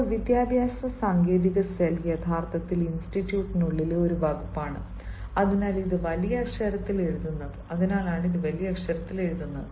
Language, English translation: Malayalam, now, educational technology cell, it is actually a department within the institute and that is why it will be written in capital